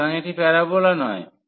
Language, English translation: Bengali, So, this is not the parabola